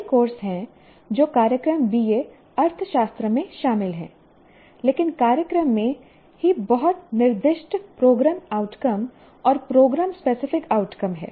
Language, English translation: Hindi, So, there are several courses which are included in the, which are there in the, in the, in the program BA economics, but the program itself has very specified program outcomes and program specific outcomes